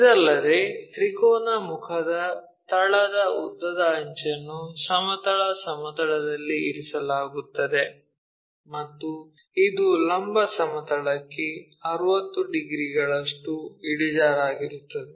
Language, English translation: Kannada, Further, the longer edge of the base of the triangular face lying on horizontal plane and it is inclined at 60 degrees to vertical plane